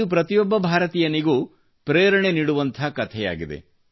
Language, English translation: Kannada, This is a story that can be inspiring for all Indians